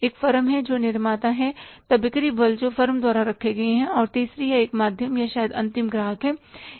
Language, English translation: Hindi, One is the firm who is a manufacturer then the sales force who is employed by the firm and third one is the channel or maybe the final customer so these are the three levels